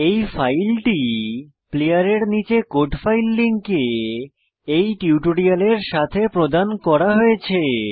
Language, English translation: Bengali, This file has been provided to you along with this tutorial, in the Code Files link, below the player